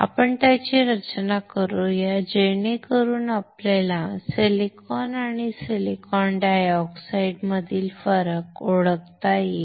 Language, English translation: Marathi, Let us design it, so that we can identify the difference between the silicon and silicon dioxide